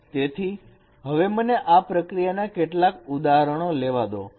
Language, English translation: Gujarati, So let me take some example of this process